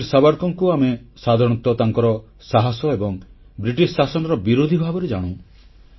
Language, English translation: Odia, Generally Veer Savarkar is renowned for his bravery and his struggle against the British Raj